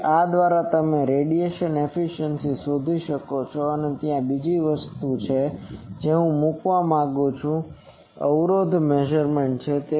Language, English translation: Gujarati, So, by this you can find the radiation efficiency and there is one more thing that I want to say that is the impedance measurement